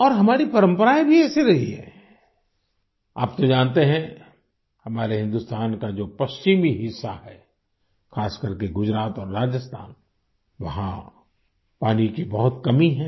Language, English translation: Hindi, You know, of course, that the western region of our India, especially Gujarat and Rajasthan, suffer from scarcity of water